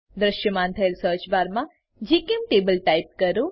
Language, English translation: Gujarati, In the search bar that appears type gchemtable